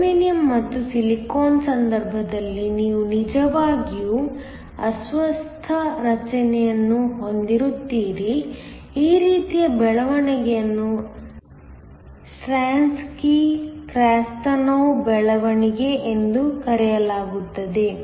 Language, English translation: Kannada, In the case of a Germanium and Silicon you actually have ailing formation, this kind of growth is called a Stranski Krastanov growth